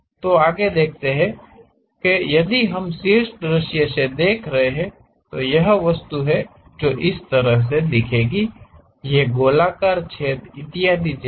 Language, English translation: Hindi, So, if we are looking from top view, this is the object how it looks like; these circular holes and so on